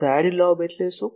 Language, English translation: Gujarati, What is a side lobe